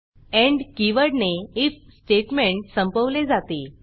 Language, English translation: Marathi, The end keyword ends the if construct